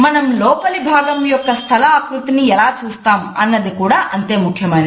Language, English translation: Telugu, It is also equally important in the way we look at the space design of the interior